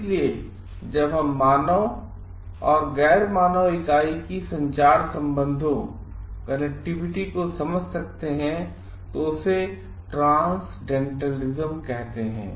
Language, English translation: Hindi, So, if only we can understand the connectivity of the human and the non human entity, that is why the name transcendentalism